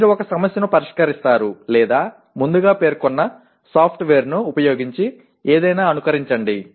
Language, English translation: Telugu, Or you solve a problem or simulate something using a pre specified software